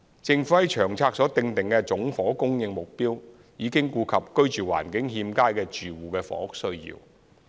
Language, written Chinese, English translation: Cantonese, 政府在《長策》所訂的總房屋供應目標已顧及居住環境欠佳的住戶的房屋需要。, The aggregate housing supply target set by the Government in LTHS has already considered the housing demand from inadequately housed households